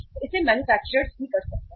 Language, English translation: Hindi, So it can be done by the manufactures also